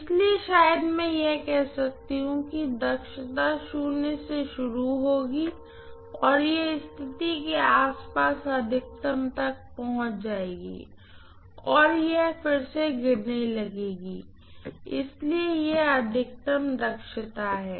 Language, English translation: Hindi, So I am going to have probably the efficiency will start with 0 and it will reach maximum around this condition and then it will start falling again, so this is what is the maximum efficiency